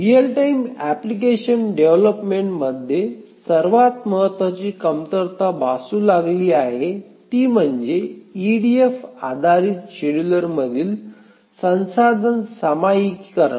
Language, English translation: Marathi, The most important shortcoming that is faced in a application, real time application development is poor resource sharing support in EDF based scheduler